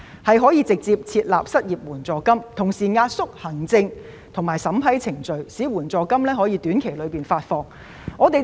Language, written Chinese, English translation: Cantonese, 請政府直接設立失業援助金，並壓縮行政及審批程序，務求在短期內發放援助金。, I ask the Government to directly set up an unemployment assistance fund and simplify the administrative and approval procedures so that assistance payments can be made within a short time